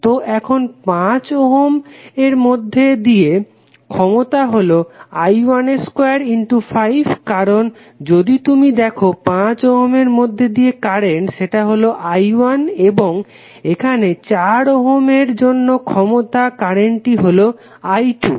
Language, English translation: Bengali, So, now power in 5 ohm resistor is nothing but I 1 square into 5 because if you see the current flowing through 5 ohm resistance is simply I 1 and here for 4 ohm the power the current flowing is I 2